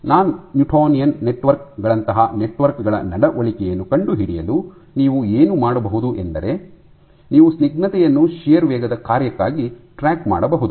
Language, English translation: Kannada, For probing the behavior of networks like non newtonian networks what you can do you can track the viscosity as a function of shear rate